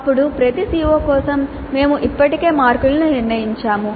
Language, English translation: Telugu, Then for each COO we already have determined the marks